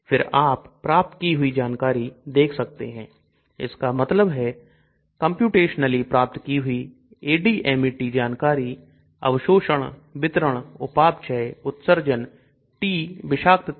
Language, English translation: Hindi, Then as you can see predicted; that means computationally predicted ADMET properties: Absorption, distribution, metabolism, excretion, T, toxicity